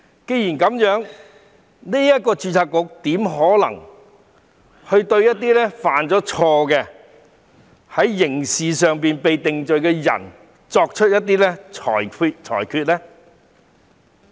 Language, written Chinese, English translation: Cantonese, 既然是這樣，註冊局怎可能會對一些犯錯、被裁定犯了刑事罪的人作出裁決呢？, If that is the case how would the Board make a ruling on those who have made mistakes and convicted of criminal offences?